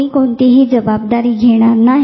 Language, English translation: Marathi, So, then nobody will own any responsibilities